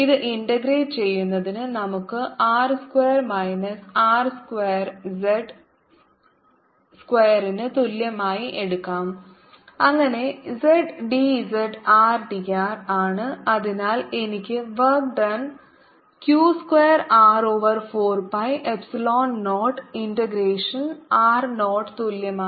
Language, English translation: Malayalam, to integrate this, lets take r square minus r square to be equal to z square, so that z d z is r d r and i have therefore work done is equal to q square r over four, pi